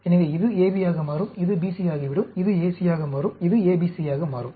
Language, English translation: Tamil, So, this will become AB, this will become BC, this will become AC, this will become ABC